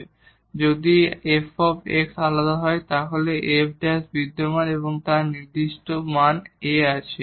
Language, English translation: Bengali, So, if f x is differentiable then f prime exist and has definite value A